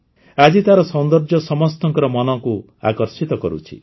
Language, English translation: Odia, Now their beauty captivates everyone's mind